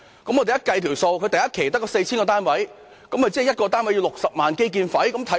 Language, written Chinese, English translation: Cantonese, 我們計算過，若首期只興建 4,000 個單位，即1個單位需要60萬元的基建費。, We have calculated that if only 4 000 housing units are constructed in the first phase that means the capital cost for each unit is 600,000